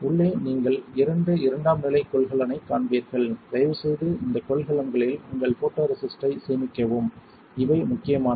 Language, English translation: Tamil, Inside you will find a couple of secondary containers please store your photoresist in these containers these are important